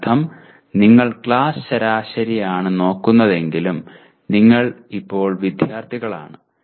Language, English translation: Malayalam, That means you are looking at class averages but you are now the students